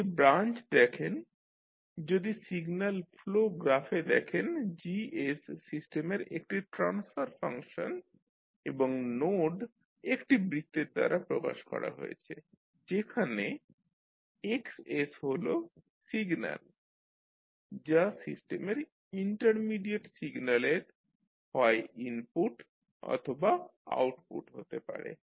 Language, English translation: Bengali, So, if you see the branch if you see in the signal flow graph the Gs is a transfer function of the system and node is represented by a circle where Xs is the signal that can be either input output or the intermediate signal of the system